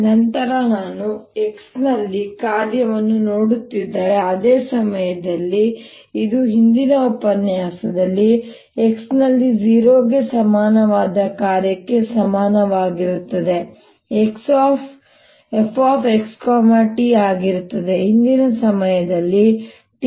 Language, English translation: Kannada, then if i am looking at function at x, the same time, it would be: f x t is equal to function at x, equal to zero at a previous time, p minus x over v